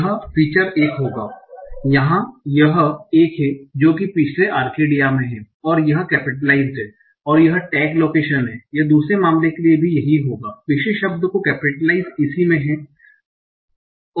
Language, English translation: Hindi, So what are all the cases where this feature will be one it will be one here in Arcadia previous word is in and it is capitalized and the tag is location it will also be one for second case yes capitalized previous what is in and the tag